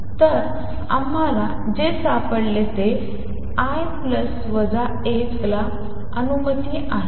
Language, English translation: Marathi, So, what we found is l plus minus 1 is allowed